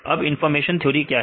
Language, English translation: Hindi, Right then the what is the information theory